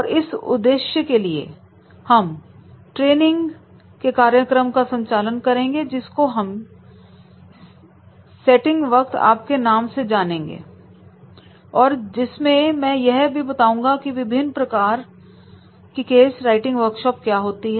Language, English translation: Hindi, And for that purpose also, we can conduct a training program that is called the case writing workshop